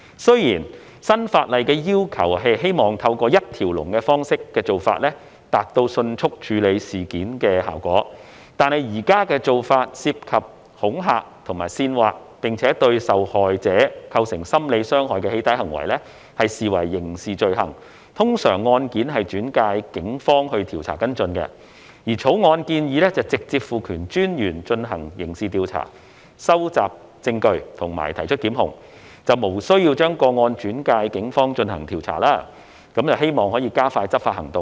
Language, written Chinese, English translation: Cantonese, 雖然新法例的要求是希望透過一條龍方式，以達致迅速處理事件的效果，但現時的做法是，涉及恐嚇或煽惑並對受害者構成心理傷害的"起底"行為，則視為刑事罪行，通常案件會轉介警方調查跟進。而《條例草案》建議直接賦權私隱專員進行刑事調查、收集證據及提出檢控，無須把個案轉介警方進行調查，希望可以加快執法行動。, The requests under the new legislation are aimed at expeditious handling of cases through a one - stop approach but as the current practice is that doxxing acts involving intimidation or incitement which cause psychological harm to the victims are regarded as a criminal offence and such cases are usually referred to the Police for investigation and follow - up the Bill proposes to directly empower the Commissioner to carry out criminal investigation collect evidence and institute prosecution without the need to refer the cases to the Police to conduct investigation with a view to expediting enforcement actions